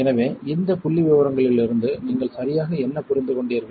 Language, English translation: Tamil, So, what exactly from this statistics what you understood